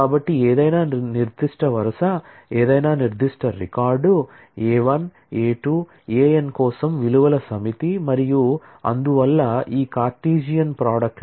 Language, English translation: Telugu, So, any specific row, any specific record is a set of values for A 1 A 2 A n and therefore, is a member of this Cartesian product and the relation is a subset of that